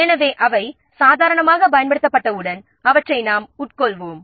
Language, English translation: Tamil, So, once they are used normally we will treat them as are consumed